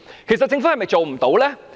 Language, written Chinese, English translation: Cantonese, 其實政府是否做不到呢？, To be honest is the Government unable to achieve it?